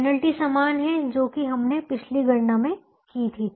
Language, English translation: Hindi, the penalty was the same as that in the last calculation